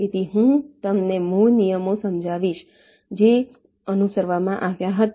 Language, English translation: Gujarati, so i shall be telling you the basic rules that were followed